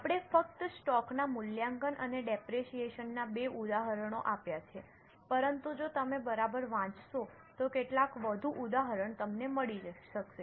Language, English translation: Gujarati, We have just given two examples of valuation of stock and depreciation, but some more examples you can find if you read carefully